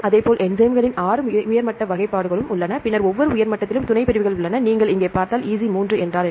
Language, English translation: Tamil, Likewise, there are 6 top level classifications of enzymes, then each top level has subclasses if you see here EC 3 is what is EC3